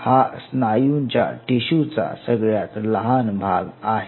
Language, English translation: Marathi, So this is the smallest unit of muscle tissue